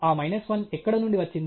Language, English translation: Telugu, From where that minus 1 came